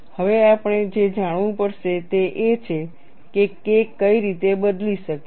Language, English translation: Gujarati, Now, what we will have to know is what way K can change